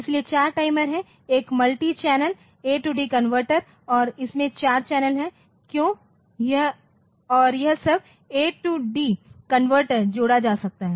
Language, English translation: Hindi, So, there are 4 timers there is 1 A/D converter and it has it is a multi channel A/D converter as we have seen, there are 4 channels why this and all this A/D converter can be connected